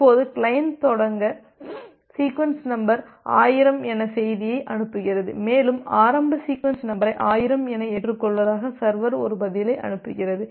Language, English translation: Tamil, Now the client sends request message with say initial sequence number as 1000, and the server sends a reply mentioning that it accepts the initial sequence number as 1000